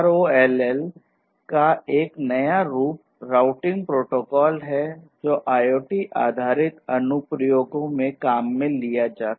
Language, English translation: Hindi, So, ROLL is a new kind of routing protocol that can be used that can be used for IoT based applications